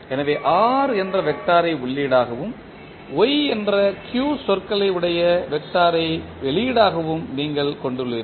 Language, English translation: Tamil, So, this Rs is multivariable input so you will have R as a vector as an input and Y as an output containing the vector of q terms